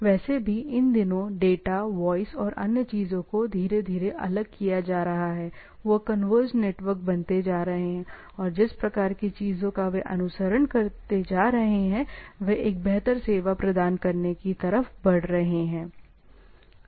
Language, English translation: Hindi, Anyway these days, segregating data, voice and other things are slowly becoming, they are becoming converged networks and type of things they follow is becoming more, what we say consolidated so to provide a better service